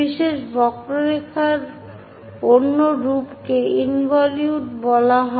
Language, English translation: Bengali, The other form of special curve is called involute